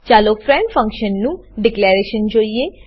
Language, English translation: Gujarati, Let us see the declaration of a friend function